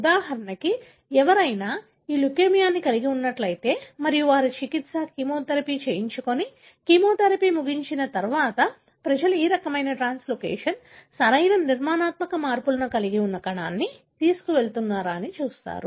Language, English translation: Telugu, So, for example if somebody is having this leukemia and they undergo a treatment, chemotherapy and then people look into, after the chemotherapy is over, whether they still carry, the cell that has this kind of translocation, right, structural changes